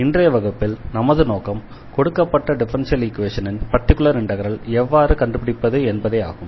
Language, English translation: Tamil, So, in today’s lecture, our focus will be how to find a particular solution of the given differential equation